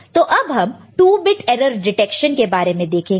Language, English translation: Hindi, Now let us look at 2 bit error detection that is possible here, ok